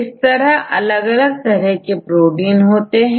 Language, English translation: Hindi, So, there are various levels of proteins structures